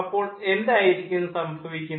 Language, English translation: Malayalam, so then what is happening